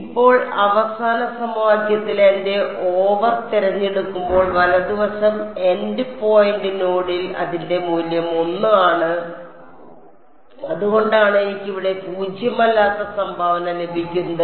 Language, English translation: Malayalam, Now the right hand side when I choose my N 2 over here in the final equation its value at the end point end point node is 1, so that is why I get a non zero contribution over here